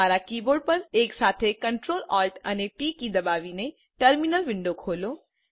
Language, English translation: Gujarati, Please open the terminal window , by pressing Ctrl+Alt+T keys simultaneously on your keyboard